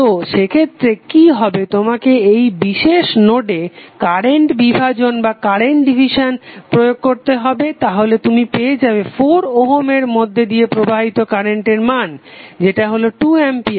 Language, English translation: Bengali, So in that case what will happen you have to use current division at this particular note you will get the value of current flowing through 4 Ohm resistor that is nothing but 2 ampere